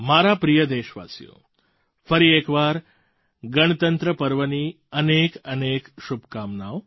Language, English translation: Gujarati, My dear countrymen, once again many many good wishes for the Republic Day celebrations